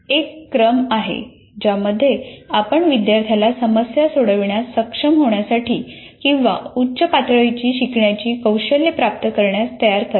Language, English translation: Marathi, There is a sequence in which you have to prepare the student to be able to become problem solvers or acquire higher order learning skills